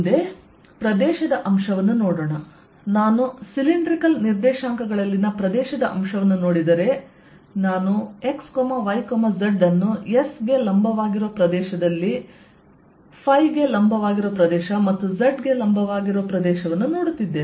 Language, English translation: Kannada, if i look at the area element in cylindrical coordinates, i am looking at x, y, z, at area perpendicular to s, area perpendicular to phi and area perpendicular to z